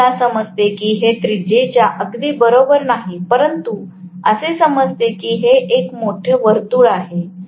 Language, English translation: Marathi, I understand that this is not exactly equivalent to the radius but assuming that it is a big circle